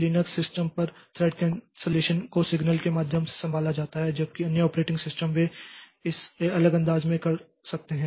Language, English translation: Hindi, On Linux system thread cancellation is handled through signals whereas other operating systems they may do it in a different fashion